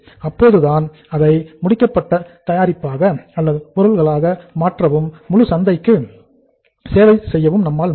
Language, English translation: Tamil, Only then we will be able to convert that into the finished product and to serve the entire market